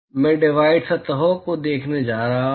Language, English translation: Hindi, I am going to look at divided surfaces